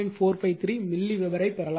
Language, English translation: Tamil, 25 milliweber right